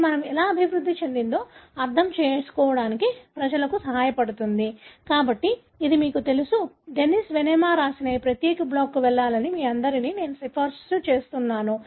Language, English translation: Telugu, So, this is you know, this is something which I really recommend all of you to go to this particular blog, written by Dennis Venema